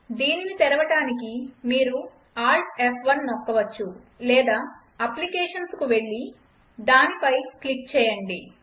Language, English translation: Telugu, To open this, you can press Alt+F1 or go to applications and click on it